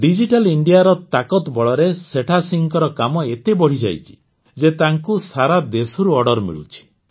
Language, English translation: Odia, Today, with the power of Digital India, the work of Setha Singh ji has increased so much, that now he gets orders from all over the country